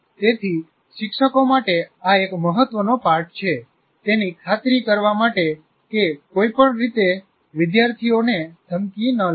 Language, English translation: Gujarati, So this is one important lesson to the teachers to make sure that in no way the students feel threatened